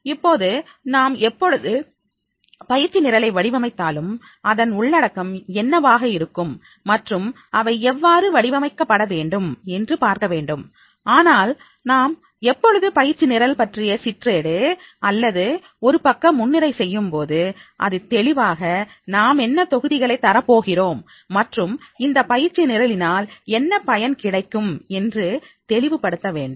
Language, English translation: Tamil, Now here whenever we are designing the training program, I will come further also, that what should be the content and how the contents are to be designed, but whenever we are making the brochure of the training program or a one page introduction of the training program, it should be very clear what module we are going to cover and what will be the benefit out of this type of the training program will be there